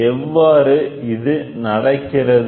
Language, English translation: Tamil, How is this happening, ok